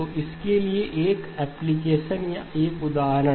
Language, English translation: Hindi, So an application or an example for this